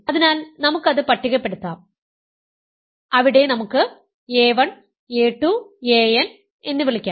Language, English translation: Malayalam, So, let us list these elements, so there let us a call a 1, a 2, a n